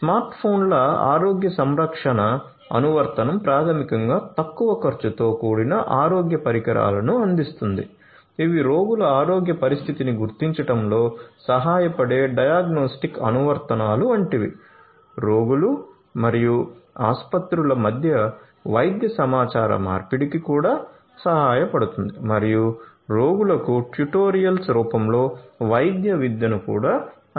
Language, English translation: Telugu, Smart phones healthcare app basically provides low cost healthcare devices which are sort of like diagnostic apps that help in detecting the health condition of patients; can also help in medical communication between the patients and the hospitals and can also offered medical education in the form of tutorials to the patients